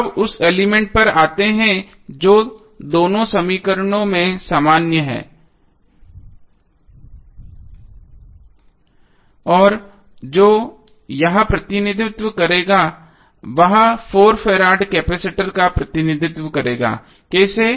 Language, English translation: Hindi, So, now comes to the element which is common in both equations and what it will represent, it will represent 4 farad capacitor, how